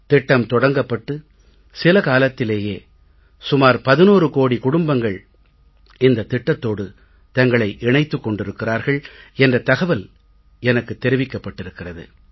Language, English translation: Tamil, The preliminary information that I have, notifies me that from launch till date around 11 crore families have joined this scheme